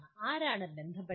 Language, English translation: Malayalam, Who are the stakeholders